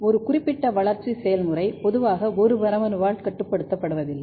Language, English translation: Tamil, So, another thing that one particular developmental process is not usually regulated by a single gene